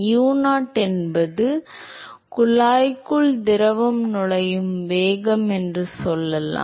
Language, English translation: Tamil, Let us say that u0 is the velocity with which the fluid is entering the tube